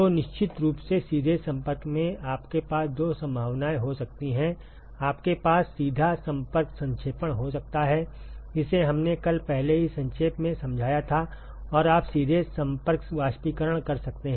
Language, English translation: Hindi, So, of course, in direct contact you can have two possibilities, you can have direct contact condensation, which we already briefly explained yesterday and you can have a direct contact vaporization